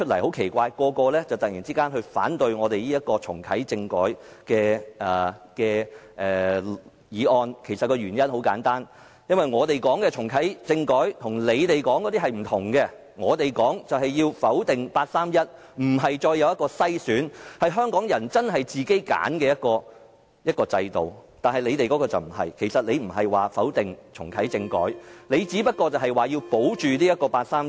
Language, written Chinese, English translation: Cantonese, 很奇怪的是，建制派議員今天突然反對重啟政改的議案，原因很簡單，因為我們所說的重啟政改與他們說的不同，我們說的就是否定八三一框架，不再有篩選，是香港人真正自行揀選的一個制度，但他們的就不是這樣，他們不否定重啟政改，只是要保護八三一框架。, It is very strange that today pro - establishment Members suddenly oppose the motion of reactivating constitutional reform . The reason is very simple as our reactivating constitutional reform is different from their version . Our version is to invalidate the 31 August framework and build up a genuine system without screening but with choices for Hong Kong people which is different from their version